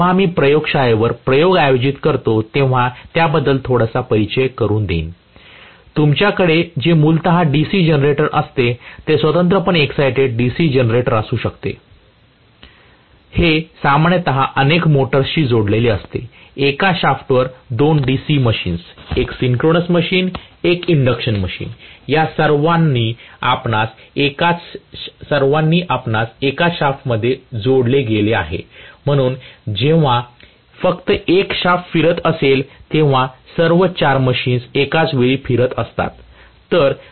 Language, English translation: Marathi, So, when we conduct the experiment on the laboratory little bit of introduction I will give you for that, what you will have is basically a DC generator, may be separately exited DC generator, this is generally connected to multiple number of motors, we have on one shaft two DC machines, one synchronous machine and one induction machine all of them connected you know in one shaft, so only one shaft when it is rotating all the four machines will be rotating simultaneously